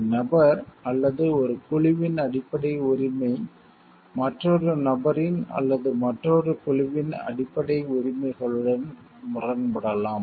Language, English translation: Tamil, The basic right of one person or a group may conflict with the basic rights of the another person or of another group